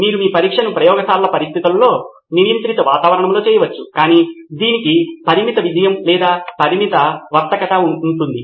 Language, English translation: Telugu, You can do your test in lab conditions, in controlled environment but it has limited success or limited applicability